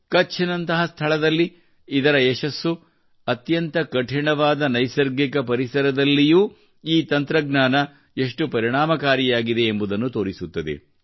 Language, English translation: Kannada, Its success in a place like Kutch shows how effective this technology is, even in the toughest of natural environments